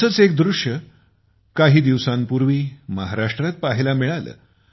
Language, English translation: Marathi, A similar scene was observed in Maharashtra just a few days ago